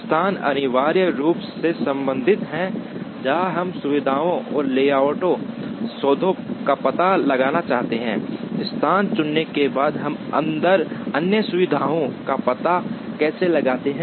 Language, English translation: Hindi, Location essentially deals with, where we want to locate the facilities and layout deals with, how we locate the other facilities inside, once the location is chosen